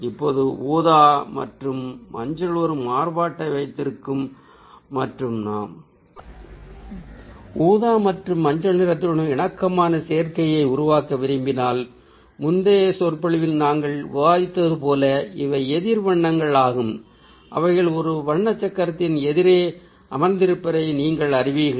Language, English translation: Tamil, now, purple and yellow, when we keep a contrast and ah if we want to create a harmonious ah combination ah with purple and yellow, which are otherwise opposite colors that we discussed ah in the previous lecture, that ah you know, they sit right opposite in a color wheel